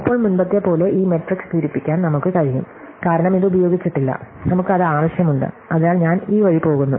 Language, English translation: Malayalam, So, now, as before we will have this matrix to fill up, because we have this is not used, because we require, so i is going this way